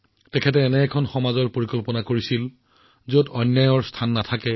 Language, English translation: Assamese, He envisioned a society where there was no room for injustice